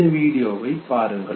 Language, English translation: Tamil, Look at this video